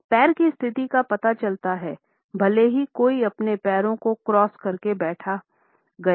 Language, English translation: Hindi, Foot positions are revealing even if someone is seated in their legs are crossed